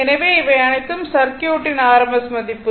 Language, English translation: Tamil, So, it is rms value all are rms value